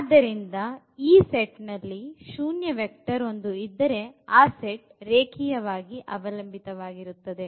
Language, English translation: Kannada, So, this 0 is one of the vectors in the set and then the set must be linearly dependent